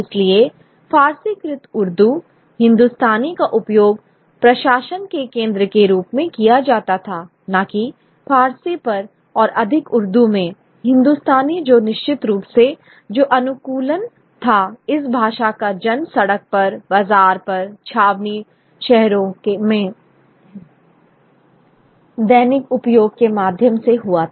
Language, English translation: Hindi, They also use Persianized Urdu Hindustani as a center of administration, not Persian but more Urdu and Hindustani which was of course adaptation which is a language which is born on the street in the bazaar in the cantonment towns through daily use and because a large number of people who were engaged in daily activities where were knowledgeable in Persian